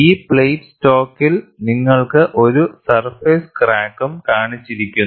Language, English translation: Malayalam, And in this plate stock, you also have a surface crack shown